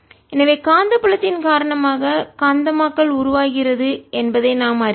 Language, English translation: Tamil, so we know that magnetization is produced because of the magnetic field